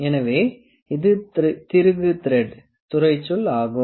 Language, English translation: Tamil, So, this is the screw thread terminology